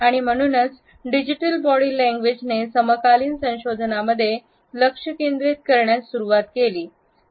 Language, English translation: Marathi, And therefore, Digital Body Language has started to become a focus in contemporary research